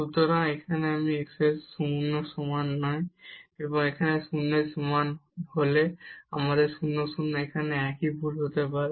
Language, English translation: Bengali, So, here it is non equal to 0, and when equal to 0 we have the 0 0 may be the same here also the same mistake